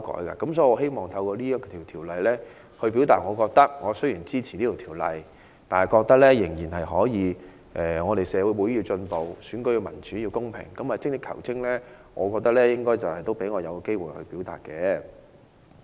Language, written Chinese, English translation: Cantonese, 所以，我希望透過對這次辯論，表達我雖然支持《條例草案》，但我覺得社會要進步，選舉要民主、要公平，精益求精，應該讓我有機會表達。, Hence I hope that through this debate I can convey the following message ie . even though I support the Bill I think society should make advancement and elections should be held in a democratic and fair manner with improvements made . Hence I should be allowed to express these views